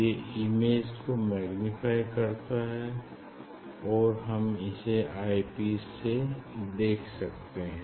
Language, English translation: Hindi, it will magnify, it will magnify the image and we can see there from the eye piece